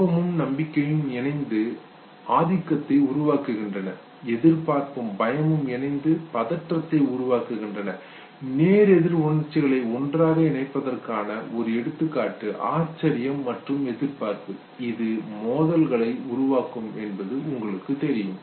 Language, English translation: Tamil, Anger and trust combine to generate dominance and anticipation and fear combined to generate anxiety, another example of opposite emotions combining together is surprise and anticipation as you know these generates conflicts